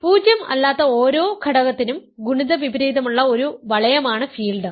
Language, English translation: Malayalam, A field is a ring where every non zero element has a multiplicative inverse